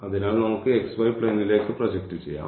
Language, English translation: Malayalam, So, let us project into the xy plane